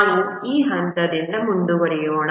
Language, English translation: Kannada, Let's proceed from this point